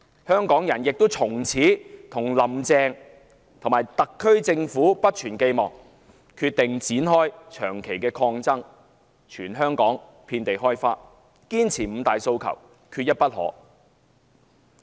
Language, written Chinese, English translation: Cantonese, 香港人亦從此不再對"林鄭"及特區政府存有寄望，決定展開在全港遍地開花的長期抗爭，堅持"五大訴求，缺一不可"。, No longer holding out any hope for Carrie LAM and the SAR Government Hongkongers have since then decided to launch on a perennial struggle that has mushroomed throughout the territory insisting on Five demands not one less